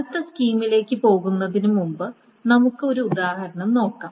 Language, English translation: Malayalam, Before moving on to the next scheme, let us see an example